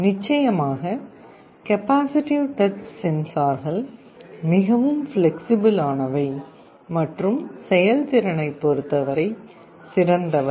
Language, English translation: Tamil, Of course, the capacitive touch sensors are much more flexible and better in terms of performance